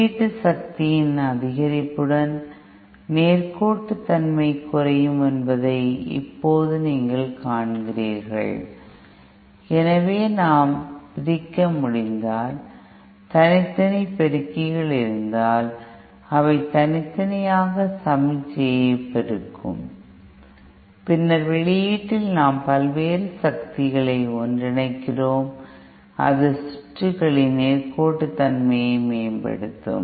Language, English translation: Tamil, Now power combining seems as you see that the linearity will decrease with increase in input power, so if we could separate, if we could have individual amplifiers which which will individually amplify the signal, and then at the output we combine the various powers and that would increase the improve the linearity of the circuit